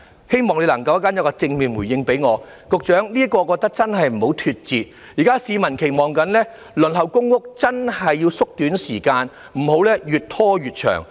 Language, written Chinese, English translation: Cantonese, 局長，我覺得這方面真的不要脫節，因為現時市民正在期望着，所以輪候公屋的時間真是要縮短，不要越拖越長。, Secretary I think you really have to be in tune with the times as people do have an expectation now . Hence the waiting time for PRH allocation has to be shortened rather than getting longer and longer